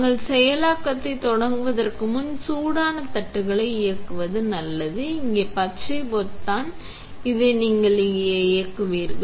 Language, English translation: Tamil, Before we start the processing, it is a good idea to turn on the hot plates, on the green button here you will turn on